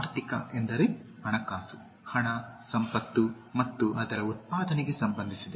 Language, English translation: Kannada, Economic means financial, related to money, wealth and production of it